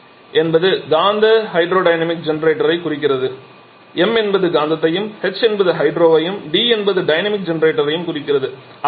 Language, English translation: Tamil, MHD refers to magneto hydrodynamic generator M for magneto H for hydro D for dynamic generator